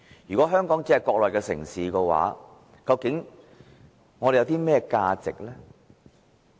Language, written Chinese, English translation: Cantonese, 如果香港只是一個國內的城市，究竟我們有甚麼價值呢？, If Hong Kong is only one of the cities of the Mainland what is our value?